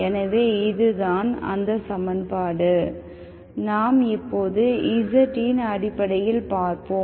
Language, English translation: Tamil, So this is equation, we will look at it right now in terms of z